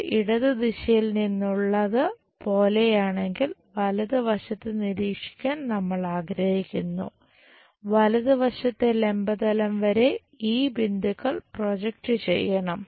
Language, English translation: Malayalam, If it is something like from left direction we would like to observe the right side, on to vertical plane of right side we have to project these points and so on